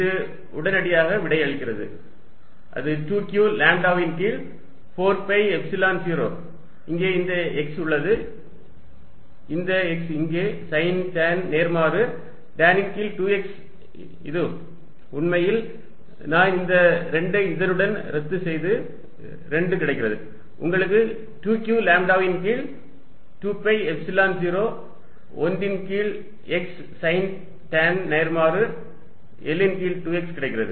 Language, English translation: Tamil, And therefore, this integral becomes q lambda over 4 pi Epsilon 0 tan inverse L over 2 x with the minus sign in front to tan inverse L over 2 x cos theta d theta and this immediately gives you answer which is 2 q lambda over 4 pi Epsilon 0, there was this x here also